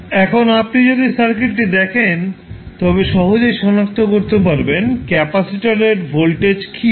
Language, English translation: Bengali, Now, if you see the circuit you can easily find out what would be the voltage across capacitor